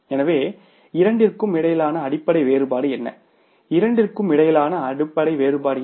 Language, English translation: Tamil, So, what is the basic difference between the two